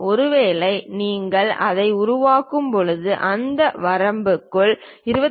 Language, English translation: Tamil, Perhaps when you are making this is ranging from 25